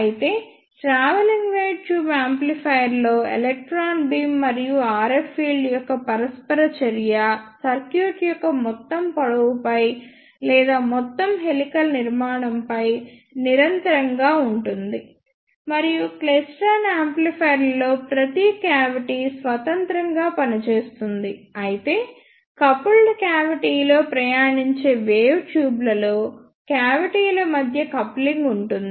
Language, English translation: Telugu, Whereas, in the travelling wave tube amplifier, the interaction of electron beam and the RF field is continuous over the entire length of the circuit or over the entire helical structure; and in klystron amplifiers each cavity operates independently, whereas in coupled cavity travelling wave tubes coupling edges between the cavities